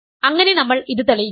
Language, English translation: Malayalam, So, we have proved this